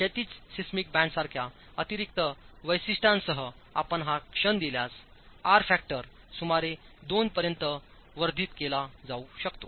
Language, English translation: Marathi, The moment you give an additional feature like a horizontal seismic band, you see that the r factor can be enhanced to about two